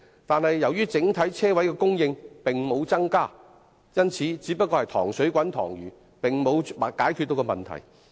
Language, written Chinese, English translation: Cantonese, 然而，由於整體車位供應並沒有增加，因此，這只不過是"塘水滾塘魚"，並沒有真正解決問題。, However as the total number of parking spaces has not increased the Government is only making do with what is available without really solving the problem